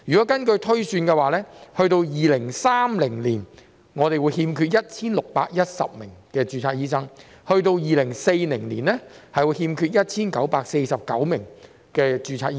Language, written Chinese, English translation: Cantonese, 根據推算，到了2030年，我們會欠缺 1,610 名註冊醫生；到了2040年，會欠缺 1,949 名註冊醫生。, It is projected that by 2030 there will be a shortfall of 1 610 registered doctors; and by 2040 there will be a shortfall of 1 949 registered doctors